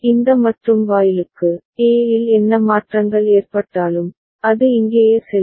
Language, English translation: Tamil, For this AND gate, whatever changes in A, that will go here right